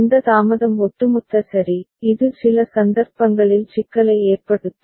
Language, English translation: Tamil, And this delay is cumulative ok, which can cause issue in certain cases